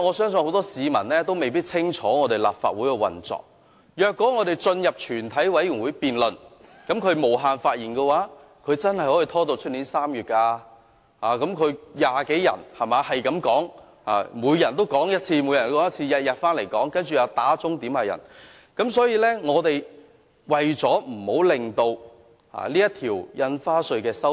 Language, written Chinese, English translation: Cantonese, 很多市民未必清楚我們立法會的運作，即我們進入全委會審議階段後，他們無限次發言的話，真的可以拖至明年3月，因為他們有20多人，可以不斷發言，每天回來發言，加上又要求點算人數等，可以拖很久。, Many people may not be familiar with the operation of the Legislative Council which is after entering the Committee stage Members can speak for an unlimited number of times . As there are over 20 pan - democratic Members if each of them speaks for an unlimited number of times the meeting can really drag on till March next year . In addition with the requests for headcounts they can really stall for a long time